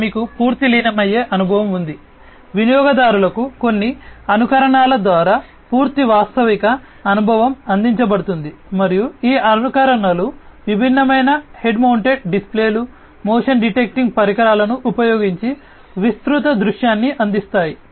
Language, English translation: Telugu, Here it you have complete immersive experience; complete realistic experience is offered through some simulations to the users, and these simulations offer a delivery of a wide field of view using different head mounted displays, motion detecting devices and so, on